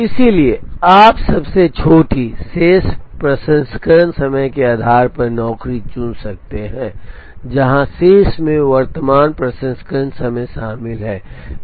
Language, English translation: Hindi, So, you could choose a job based on Shortest Remaining Processing Time, where remaining includes the current processing time